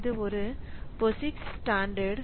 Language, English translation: Tamil, So, this is a POSIX standard